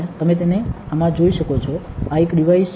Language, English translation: Gujarati, You can see it in this, this is one device